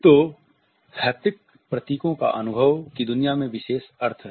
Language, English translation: Hindi, So, haptic symbols have significant meanings in the world of experience